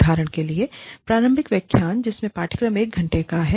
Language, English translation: Hindi, For example, the initial lectures, in this program are, one hour each